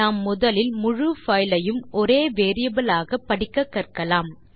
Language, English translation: Tamil, We shall first learn to read the whole file into a single variable